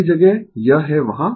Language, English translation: Hindi, Many places it is there